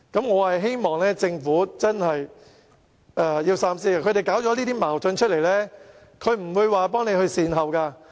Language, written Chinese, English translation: Cantonese, 我希望政府真正能夠三思，上述人士挑起這些矛盾後，絕不會幫忙做善後工作。, I hope that the Government can really think twice . After stirring up these conflicts these people will definitely not help clean up the mess